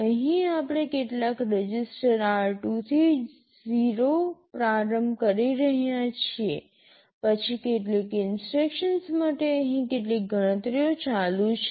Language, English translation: Gujarati, Here we are initializing some register r2 to 0, then some instructions here some calculations are going on